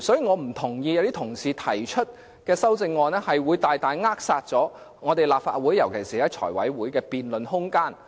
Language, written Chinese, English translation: Cantonese, 我不認同一些說法，指議員提出的修正案大大扼殺立法會尤其是財委會的辯論空間。, I disagree with the allegation that the amendments proposed by Members seriously stifle the room for debate in the Legislative Council especially the Finance Committee